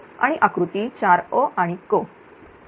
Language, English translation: Marathi, And figure 4 a and c